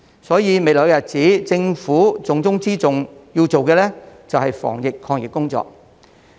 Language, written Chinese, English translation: Cantonese, 所以，未來日子政府重中之重要做的，就是防疫抗疫工作。, Hence the most important task of the Government in the future is its anti - pandemic fight